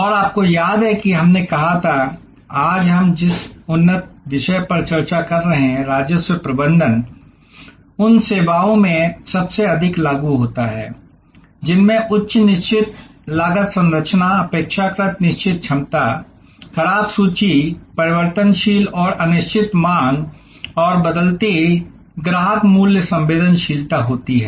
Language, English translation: Hindi, And you remember that, we said that revenue management the advanced topic that we are discussing today is most applicable in those services, which have high fixed cost structure, relatively fixed capacity, perishable inventory, variable and uncertain demand and varying customer price sensitivity